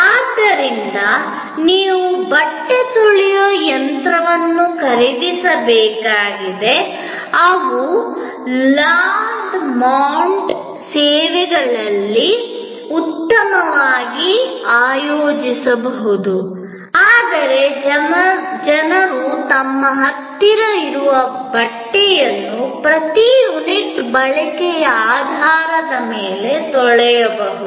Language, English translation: Kannada, So, you need buy a washing machine, we can have a good organize Laundromat services, but people can get their close done washed on per unit of usage basis